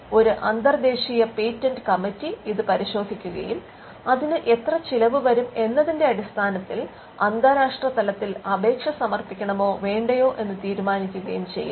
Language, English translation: Malayalam, An international patent committee looks into this and takes the decision on whether to file an international application simply because of the cost involved